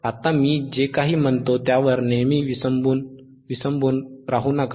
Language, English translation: Marathi, Now do not always rely on whatever I am saying, right